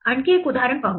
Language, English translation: Marathi, Let us look at another example